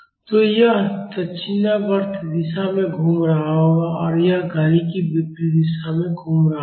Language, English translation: Hindi, So, this will be rotating in clockwise direction and this will be rotating in anti clockwise direction